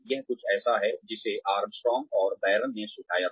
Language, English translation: Hindi, This is something that, the Armstrong and Baron had suggested